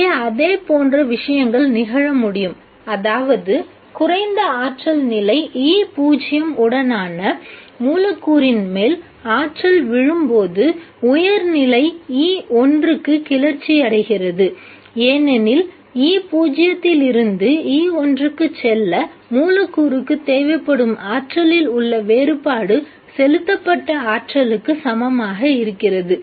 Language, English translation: Tamil, Similar things can happen here that when the energy falls on a molecule with the lower energy state E0, it gets excited to the higher state E1 because the difference in energy that is required for the molecule to go from E0 to E1 is equal to the energy that is being supplied